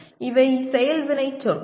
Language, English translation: Tamil, These are the action verbs